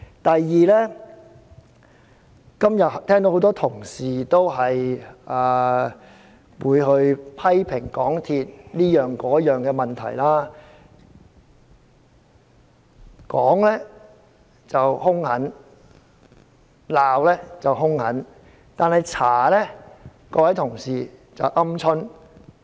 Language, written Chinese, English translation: Cantonese, 第二，今天聽到很多同事批評香港鐵路有限公司各方面的問題，批評時兇狠，但調查時卻表現"鵪鶉"。, Secondly today the MTR Corporation Limited MTRCL came under a barrage of fierce criticism from many Members for various problems but these Members turned cowardly when it came to the investigation of MTRCL